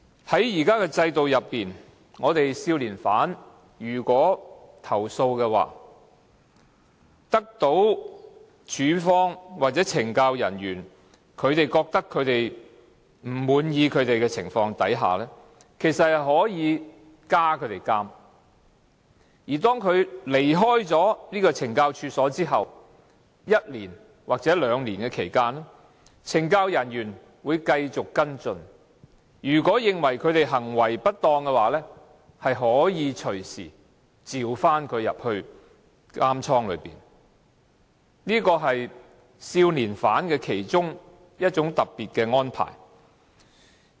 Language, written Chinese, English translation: Cantonese, 在現行制度下，如果少年犯作出投訴，令署方或懲教人員不滿意的情況下，其實可以要他們加監；而當他們離開懲教所後一年或兩年期間，懲教人員會繼續跟進，如果認為他們行為不當，可以隨時召他們回監倉，這是少年犯其中一種特別的安排。, Under the existing system if the young inmates complain and in case the Department or the Correctional officers are not satisfied with that their sentence may be increased . After their discharge from the institutions there will be a post - supervisory period for one or two years . Their cases will be followed up by the Correctional Services officers